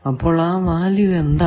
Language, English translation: Malayalam, So, what is a value that